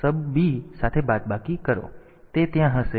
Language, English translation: Gujarati, So, that will be there